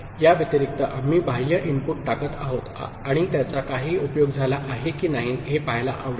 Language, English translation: Marathi, In addition, we are putting an external input, and would like to see if it is of any use